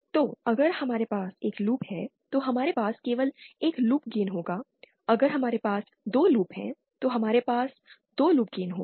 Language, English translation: Hindi, So, if we have one loop, then we will have only one loop gain, if we have 2 loops, then we will have 2 loops games